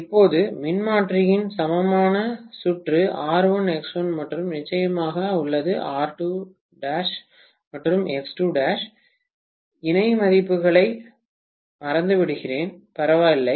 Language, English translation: Tamil, Now, we have the equivalent circuit of the transformer as R1, X1 and of course R2 dash and X2 dash, let me forget about the parallel values, doesn’t matter